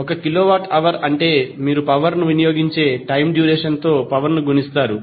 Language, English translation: Telugu, 1 kilowatt means the power multiplied by the the duration for which you consume the electricity